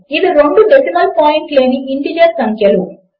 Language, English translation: Telugu, So, these are both integer numbers with no decimal point